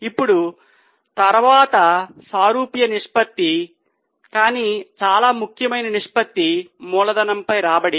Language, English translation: Telugu, Now the next one, similar ratio but very important ratio is return on capital